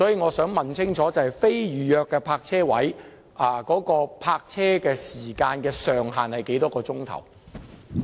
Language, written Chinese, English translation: Cantonese, 我想問清楚，非預約泊車位的泊車時限是多少個小時呢？, I wish to clarify how long the time limit on non - reserved parking spaces is in terms of number of hours